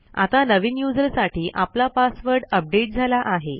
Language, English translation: Marathi, Now our password for the new user is updated